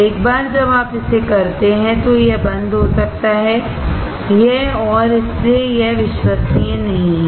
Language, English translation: Hindi, Once you do it, it might come off, it and hence it is not reliable